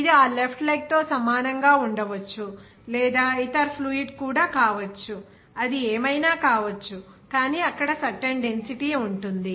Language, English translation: Telugu, It may be the same of that left leg or maybe other fluid also, whatever it is, but its density will be certain there